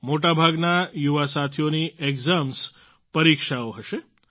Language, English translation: Gujarati, Most of the young friends will have exams